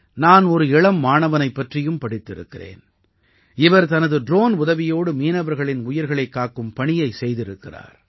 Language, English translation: Tamil, I have also read about a young student who, with the help of his drone, worked to save the lives of fishermen